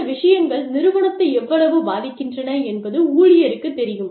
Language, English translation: Tamil, And, the employee knows, how much these things, affect the organization